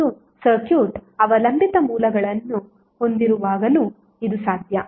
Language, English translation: Kannada, And it is also possible when the circuit is having dependent sources